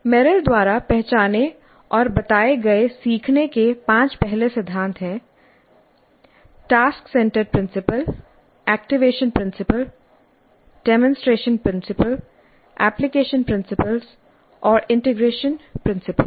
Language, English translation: Hindi, So the five first principles of learning as identified and stated by Merrill, task centered principle, activation principle, demonstration principle, application principle, integration principle, integration principle